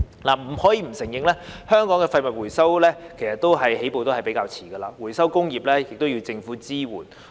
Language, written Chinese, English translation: Cantonese, 不得不承認，香港的廢物回收起步較遲，回收工業亦要政府支援。, There is no denying that Hong Kong has started a bit late in waste recycling and the recycling industry is also in need of government support